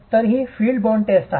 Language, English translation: Marathi, So, this is a field bond test